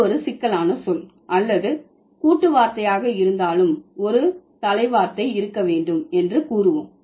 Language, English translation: Tamil, Let's say whether it is a complex word or a compound word, there must be a head word